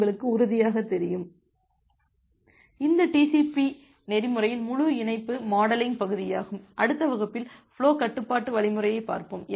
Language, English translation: Tamil, So, this is the entire connection modeling part of TCP protocol and in the next class, we’ll look into the flow control algorithm